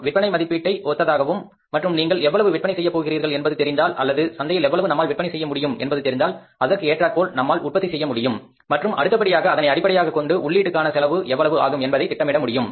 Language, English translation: Tamil, It depends with the forecasting of sales and we know that how much we are going to sell in the market or we are capable of selling in the market, accordingly we are going to produce and then accordingly we are going to budget for the all input cost